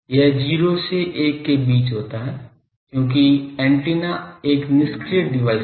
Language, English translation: Hindi, It is between 0 1 1 because antenna is a passive device